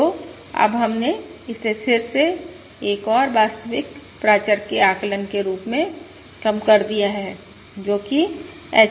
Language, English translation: Hindi, So now we have again reduced it to the estimation of another real parameter, that is H